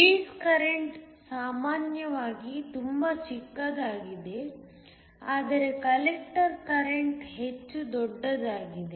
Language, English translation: Kannada, The base current is typically very small, while the collector current is much larger